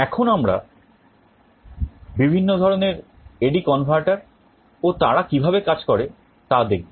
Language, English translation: Bengali, Now let us come to the different types of A/D converter and how they work